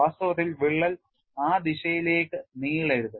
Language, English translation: Malayalam, In fact, crack should not extend in a direction